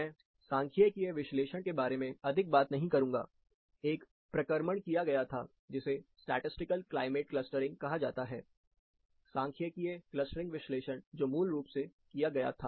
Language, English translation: Hindi, I will not going to talk about more of the statistical analysis which happened, there was a processing which was done, which is called statistical climate clustering, statistical clustering analysis which was basically done